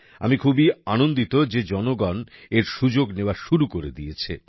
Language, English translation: Bengali, I am glad that people have started taking advantage of it